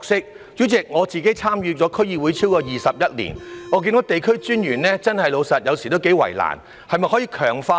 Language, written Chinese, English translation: Cantonese, 代理主席，我參與區議會超過21年，坦白說，有時候看見地區專員的確頗為為難，是否可以強化呢？, Deputy President I have been on the District Council for more than 21 years . To be honest sometimes I see that District Officers have a rather rough ride . Can any enhancement be made?